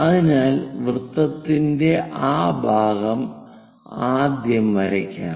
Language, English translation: Malayalam, So, let me draw that part of the circle first of all